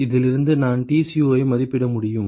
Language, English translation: Tamil, From this I can estimate Tco